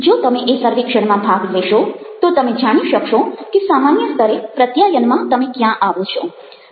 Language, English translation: Gujarati, if you should do this survey, you will be able to identify where you stand in terms of communication at a generic level